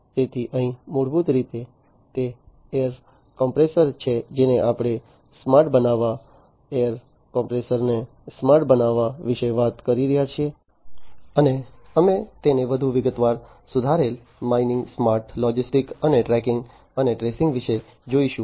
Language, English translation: Gujarati, So, here basically it is a air compressor that we are talking about making it smart, making a air compressor smart and so on so, we will look at it in further more detail, improved mining, smart logistics, and tracking and tracing